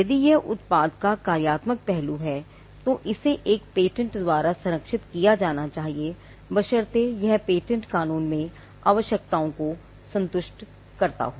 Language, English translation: Hindi, If it is the functional aspect of the product, then it should be protected by a patent provided it satisfies the requirements in patent law